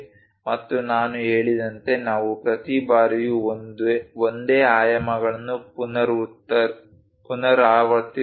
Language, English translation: Kannada, And like I said, we do not repeat the same dimensions every time